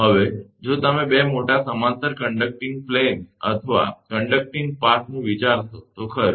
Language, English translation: Gujarati, Now, if you consider two large parallel conducting planes or conducting path, right